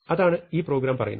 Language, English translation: Malayalam, So, that is what this program is saying